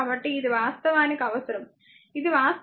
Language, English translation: Telugu, So, this is actually ah just we need this is actually your this 5 i 1 , right this is 5 i 1 right